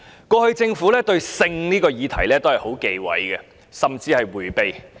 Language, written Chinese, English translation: Cantonese, 過去，政府對關於性的議題一直非常忌諱，甚至迴避。, The Government has always been reluctant to talk about sex issues . It even takes an evasive attitude when facing such issues